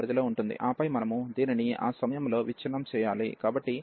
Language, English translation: Telugu, And then we have to break this at that point, so a to c fx dx, and then c to b f x dx